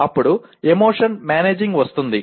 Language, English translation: Telugu, Then comes managing an emotion